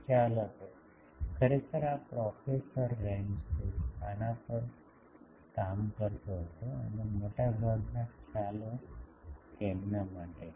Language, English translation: Gujarati, The concept was, actually this was professor Ramsay used to work on this and most of the concepts are for him